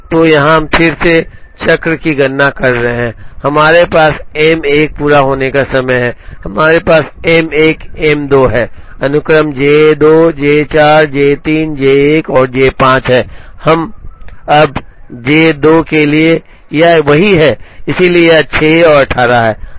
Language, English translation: Hindi, So, here we are again computing cycle times, we have M 1 completion times, we have M 1 M 2, the sequence is J 2 J 4 J 3 J 1 and J 5, now for J 2, it is the same, so it is 6 and 18